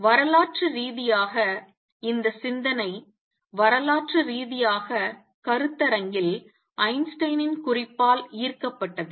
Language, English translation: Tamil, Historically is this thinking has been historically was inspired by remark by Einstein in seminar